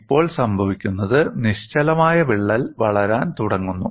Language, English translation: Malayalam, Now, what happens is, the stationary crack starts growing